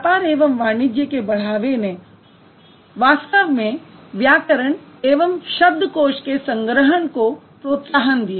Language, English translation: Hindi, With the increase of commerce and trade, it actually led to the compilation of grammars and dictionaries